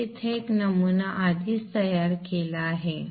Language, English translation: Marathi, I have already created a sample here